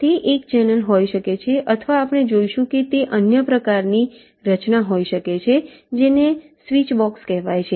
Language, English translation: Gujarati, it can be a channel or, we shall see, it can be another kind of a structure called a switch box